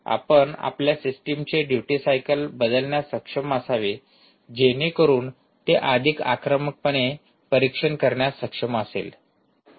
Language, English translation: Marathi, you should be able to change the duty cycle of your system such that it is able to monitor much more aggressively